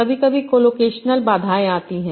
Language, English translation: Hindi, Sometimes there are collocational constraints